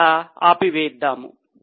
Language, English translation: Telugu, So, let us stop here